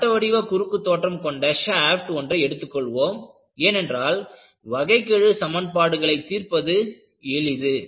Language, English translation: Tamil, You take a circular cross section because you want to avoid solving differential equations